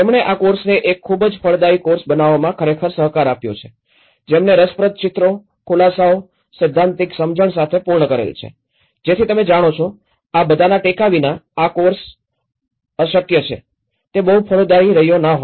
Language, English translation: Gujarati, Who have really cooperated with us in making this course a very fruitful course, with his all very interesting illustrations, explanations, the theoretical grinding on it so you know, thatís this course without all this support it has not been very fruitful